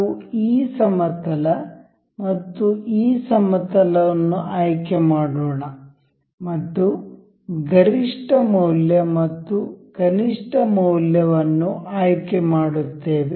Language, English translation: Kannada, Let us just select this plane and this plane and will select a maximum value and a minimum value